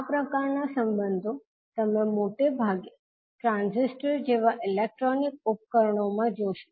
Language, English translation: Gujarati, So, these kind of relationships you will see mostly in the electronic devices such as transistors